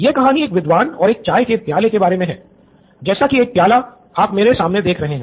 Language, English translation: Hindi, The story about a scholar and a tea cup like the one you see in front of me